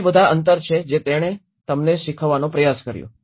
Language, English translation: Gujarati, These are all the gaps he tried to teach you